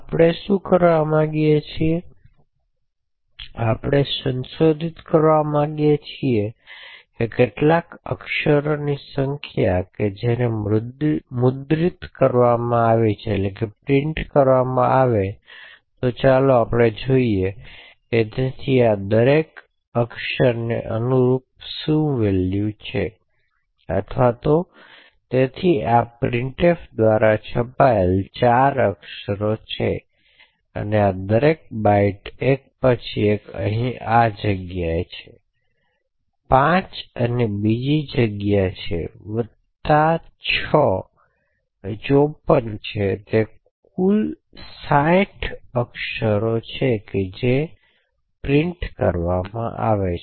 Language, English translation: Gujarati, So let us see over here so each of this corresponds to a one character or so it is 4 characters that are printed by this, so one for each of these bytes then there is a space over here so five and another space over here six plus 54 so it is a total of sixty characters that gets printed